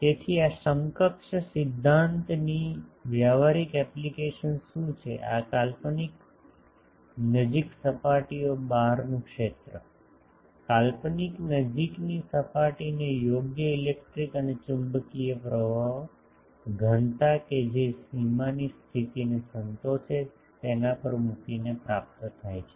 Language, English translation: Gujarati, So, what is the practical application of this equivalence principle is, field outside an imaginary close surfaces, imaginary close surfaces are obtained by placing over the close surface suitable electric and magnetic currents, densities that satisfy boundary conditions